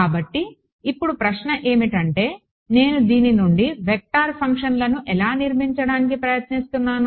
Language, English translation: Telugu, So, now the question is how do I try to construct vector functions out of this